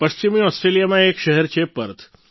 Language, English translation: Gujarati, There is a city in Western Australia Perth